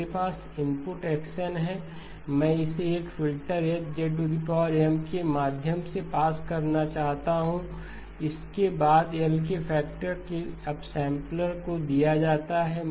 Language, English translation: Hindi, So I have input X of N, input X of N, I want to pass it through a filter H of Z followed by a up sampler by a factor of L